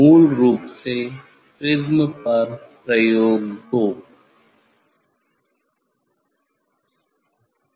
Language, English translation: Hindi, experiment 2 on prism basically